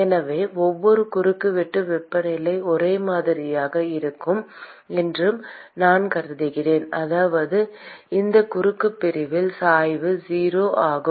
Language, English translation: Tamil, So, I assume that every cross section, the temperature is uniform, which means that the gradients are 0 in this cross section